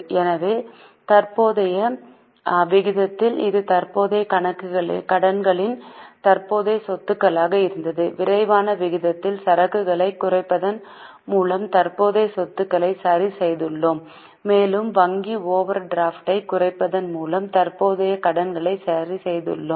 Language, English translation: Tamil, In quick ratio we have adjusted the current assets by reducing inventories and we have adjusted the current assets by reducing inventories and we have adjusted current liabilities by reducing bank overdraft